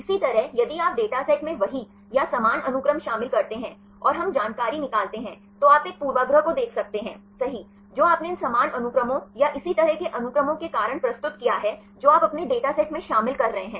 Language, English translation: Hindi, Likewise if you include the same or similar sequences in your dataset, and we extract information, you can see a bias right that you have introduced because of these same sequence or similar sequences right you are including in your data set